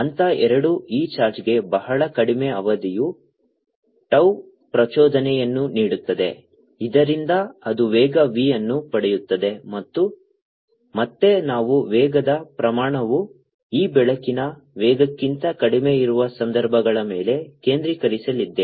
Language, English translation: Kannada, step two gave and impulse of very short duration, tau to this charge so that it gain a velocity v, and again we want to focus on the cases where the magnitude of the velocity is much, much less then this field of light